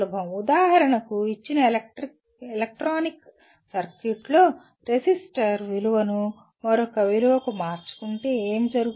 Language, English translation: Telugu, For example in a given electronic circuit you can say if I change the resistor value to another value what happens